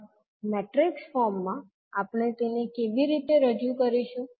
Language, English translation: Gujarati, Now in matrix form how we will represent